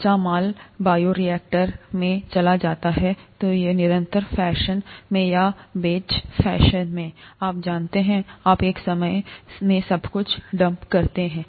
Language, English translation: Hindi, Raw material goes into the bioreactor, either in a continuous fashion or in a batch fashion, you know, you dump everything at one time